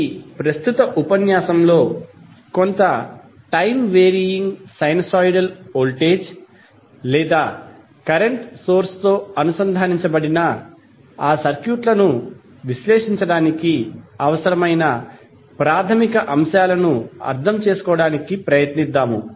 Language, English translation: Telugu, So, basically in this particular lecture, we will try to understand the basic concepts which are required to analyze those circuits which are connected with some time wearing sinusoidal voltage or current source